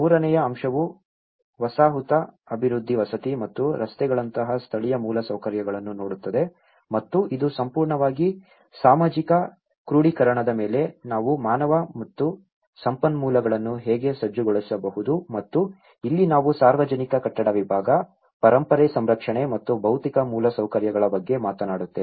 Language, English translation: Kannada, The third aspect looks at the settlement development housing and the local infrastructure like roads and this is completely on the social mobilization how we can mobilize the human and resources and this is where we talk about the public building section, heritage conservation and physical infrastructure and this one is looking at the housing settlement development and the land development geological